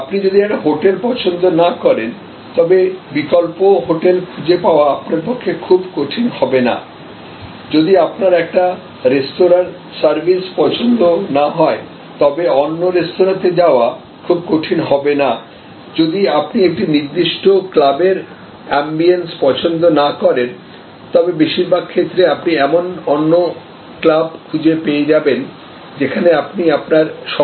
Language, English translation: Bengali, So, if you do not like one hotel it will not be very difficult for you to find an alternative hotel, if you do not like the service at one restaurant, it will not be very difficult to move to another restaurant, if you do not like the ambiance of one particular club in most cases you can find another club where you would like to spend your time